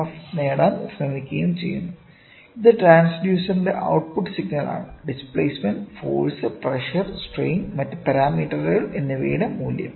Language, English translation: Malayalam, This operates and you try to get further the EMF, which is the output signal of transducer maybe the value of displacement force pressure strain and other parameters